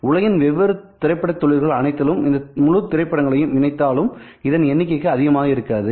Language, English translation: Tamil, This is the entire movie in all of the different movie industries in the world put together this number would not be exceeded